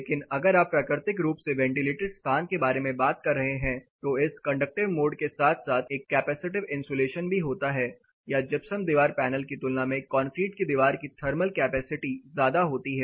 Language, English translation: Hindi, But if you talking about a naturally ventilated space what happens a part from this conductive mode there is also a capacitive insulation or the thermal capacity of this particular wall is high compare to when insulated gypsum wall panel